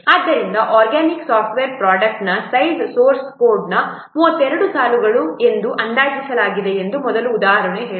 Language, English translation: Kannada, So, first example said that the size of an organic software product has been estimated to be 32 lines of source code